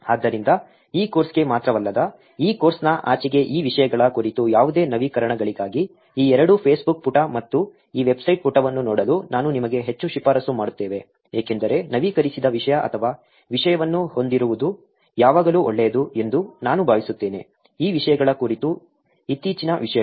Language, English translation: Kannada, So, I highly recommend you to look at these two, Facebook page and this web page for any updates on this topics around if not only for this course, beyond this course also because I think it will always be good to have updated content or the latest contents on this topics